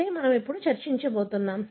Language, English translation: Telugu, That is what we are going to discuss now